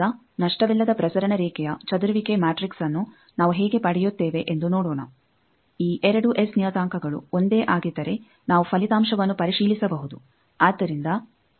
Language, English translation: Kannada, Now, let us see how the scattering matrix of a lossless transmission line how we derive that then if this 2 S parameters comes to be same we can cross check the result